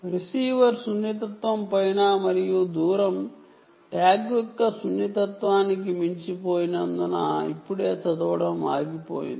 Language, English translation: Telugu, you can see that it has stopped reading now because the distance has gone over and above the receiver sensitivity, the sensitivity of the tag